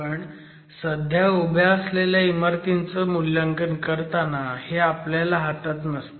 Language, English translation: Marathi, But when you are looking at assessment of existing buildings, this is not something that is in your hand